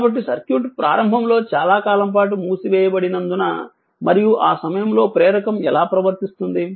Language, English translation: Telugu, So, as as the circuit initially was closed for a long time and and at that time your how the inductor will behave right